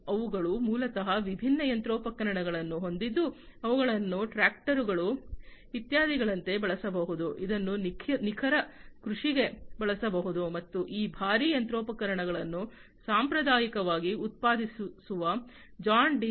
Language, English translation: Kannada, They have equipments which are basically different machinery, which can be used like tractors etcetera, which can be used for precision agriculture and these heavy machinery, that are produced by them traditionally, John Deere